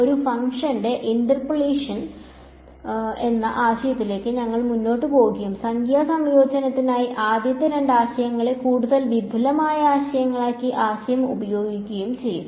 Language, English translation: Malayalam, We will proceed to the idea of interpolation of a function and use the idea combine the first two ideas into more advanced ideas for numerical integration ok